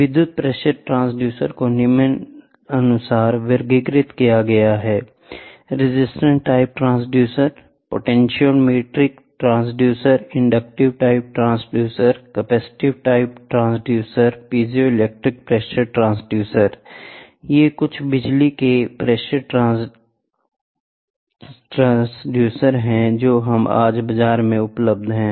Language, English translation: Hindi, The electric pressure gauges are classified as follows; that is resistance type transducer, potentiometric devices, inductive type transducers, capacitive type transducers, and piezoelectric pressure transducers